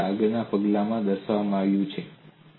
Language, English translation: Gujarati, That is what the way depicted in the next step